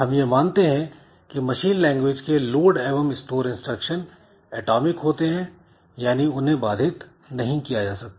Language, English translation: Hindi, We assume that the load and store machine language instructions are atomic, that is they cannot be interrupted